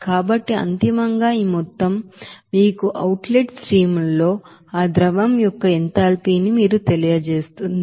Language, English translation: Telugu, So ultimately this amount will give you that you know enthalpy of that liquid in that outlet streams